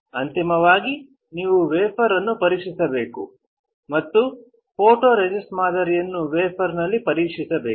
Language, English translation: Kannada, Finally, you have to inspect the wafer and inspect the pattern of photoresist on the wafer